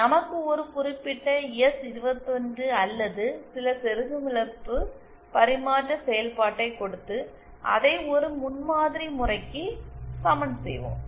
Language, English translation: Tamil, We will be given a certain S21 or certain insertion loss transfer function and we will be equating it to a prototype case